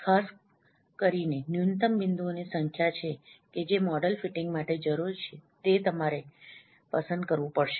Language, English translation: Gujarati, Typically you minimum minimum number of points that is required needed to fit the model that at least you have to choose